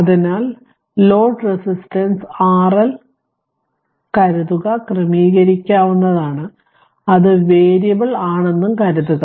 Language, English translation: Malayalam, So, we assume that load resistance R L is adjustable that is variable right